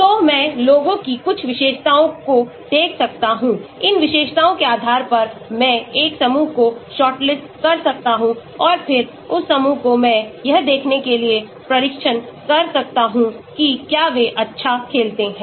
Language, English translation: Hindi, So, I may look at some features of the people right, based on these features, I may shortlist a group and then that group I may test it out to see whether they play well